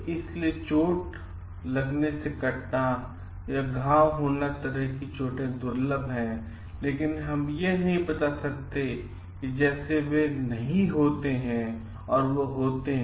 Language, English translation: Hindi, So, injuries like cuts and lacerations are rare, but we cannot tell like they do not happen they happen